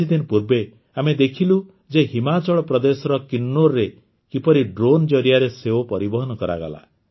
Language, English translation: Odia, A few days ago we saw how apples were transported through drones in Kinnaur, Himachal Pradesh